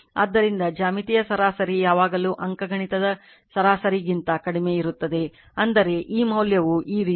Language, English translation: Kannada, So, geometric mean is always less than arithmetic mean; that means, this value this is the way